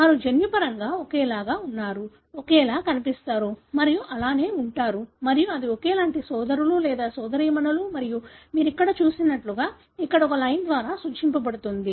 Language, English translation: Telugu, They are genetically identical, look alike and so on and that is identical brothers or sisters and that is denoted by a line here, as you see here